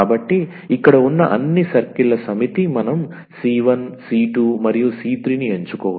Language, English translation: Telugu, So, this is the set of the all circles here we can choose the c 1 c 2 and the c 3